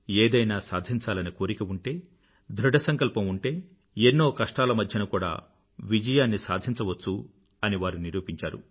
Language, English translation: Telugu, They have demonstrated that if you have the desire to do something and if you are determined towards that goal then success can be achieved despite all odds